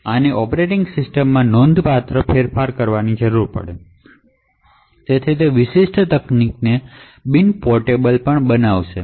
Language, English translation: Gujarati, Now this would require considerable of modifications in the operating system and therefore also make the particular technique non portable